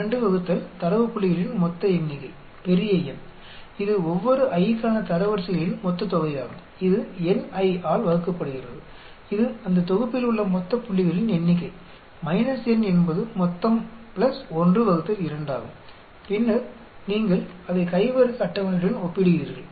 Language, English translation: Tamil, 12 ÷ the total number of data points capital N, this is the total sum of the ranks for each i, divided by n i that is the total number of points in that set n is the total + 1 ÷2 and then you compare it with the chi square table